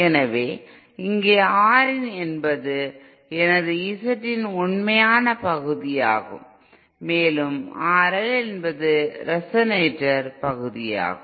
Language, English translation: Tamil, So here R in is the real part of my Z in and R L is the resonator part